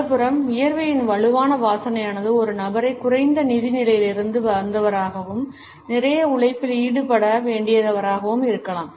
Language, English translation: Tamil, On the other hand, there is strong odor of sweat can indicate a person who is perhaps from a lower financial status and who has to indulge in a lot of manual labor